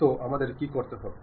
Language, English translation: Bengali, So, what we have to do